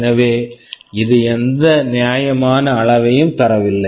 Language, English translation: Tamil, So, it does not give any fair measure